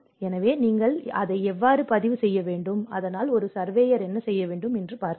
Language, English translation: Tamil, So, how you have to make a record of that, so that is where a surveyor looks at